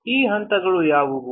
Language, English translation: Kannada, What are those steps